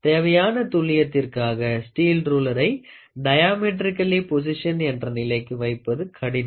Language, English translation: Tamil, Since the steel roller cannot be positioned diametrically across the job to the required degree of accuracy